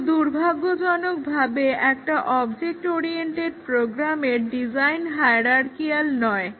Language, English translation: Bengali, But, here unfortunately in an object oriented program the design is not hierarchical